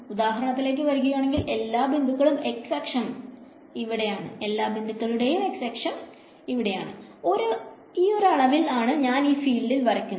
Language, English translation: Malayalam, So, let us take for example, the x axis every point along the x axis over here, the quantity is how should I draw this field over here